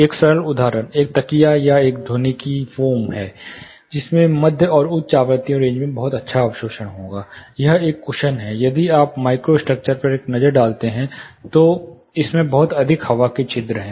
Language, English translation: Hindi, Simple example is a cushion or a foam acoustic foam, which will have very good absorption in the mid and high frequency range, is a cushion if you take look at microstructure it has lack of air porous in it